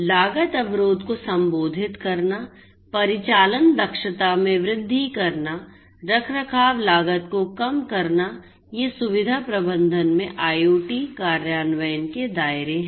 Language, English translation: Hindi, Addressing the cost barrier increasing the operating efficiency, reducing maintenance cost, these are the scopes of IoT implementation in facility management